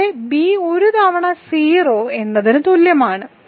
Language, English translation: Malayalam, Also because b is 0 a times one is equal to 0